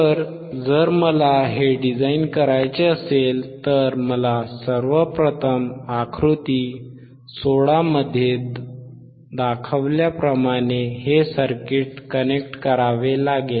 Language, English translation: Marathi, I have to first connect this circuit as shown in figure 16 as shown in figure 16